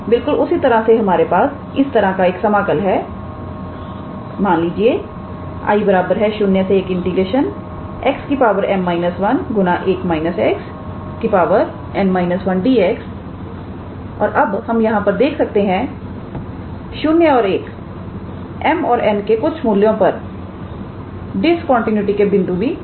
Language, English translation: Hindi, Similarly we have an integral of type this let us say I equals to integral from 0 to 1 x to the power m minus 1 times 1 minus x to the power n minus 1 and here we can see that 0 and 1 can be the points of discontinuities for certain values of m and n